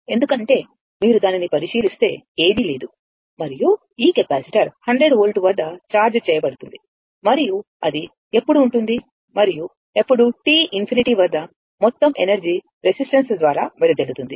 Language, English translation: Telugu, Because, if you look into that, there is no and this capacitor is charged at ah your what you call at 100 volt right and when it will be and when it will be your what you call at t tends to infinity, that all the energy will be dissipated in the resistor